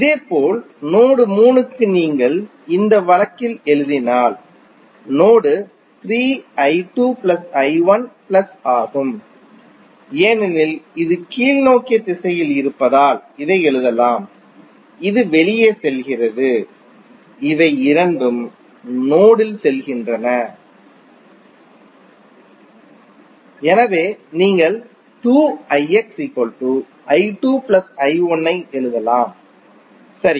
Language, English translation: Tamil, Similarly, for node 3 if you write in this case node 3 would be i 2 plus i 1 plus since it is in downward direction so you can write this is going out, these two are going in the node, so you can write 2 i X is equal to i 1 plus i 2, right